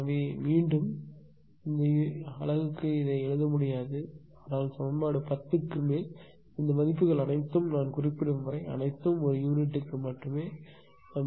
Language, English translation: Tamil, So, again and again this per unit will not be writternable, but ah equation 10 onwards; all these values unless and until I mention all are in per unit only right